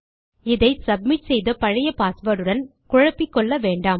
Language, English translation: Tamil, Dont mistake this with the old password that has been submitted